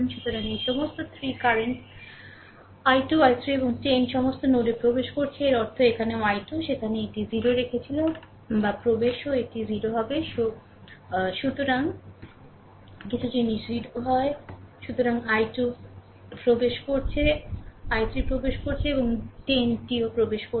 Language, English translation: Bengali, So, this this all these 3 currents i 2, i 3 and 10 all are entering into the node; that means, here also i 2, there also leaving it was 0 or entering also it will be 0